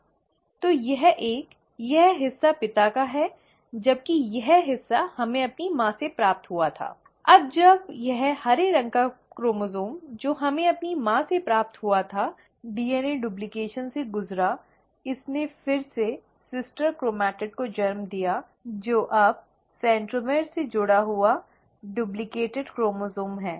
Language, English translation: Hindi, So both this one, right, this part, is from the father, while this part we had received from our mother, and when this green coloured chromosome which we had received from our mother underwent DNA duplication, it again gave rise to sister chromatid which is now the duplicated chromosome attached at the centromere